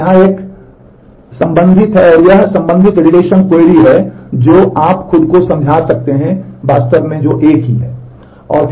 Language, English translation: Hindi, So, here is a the corresponding here is the corresponding relational query which you can convince yourself is indeed the same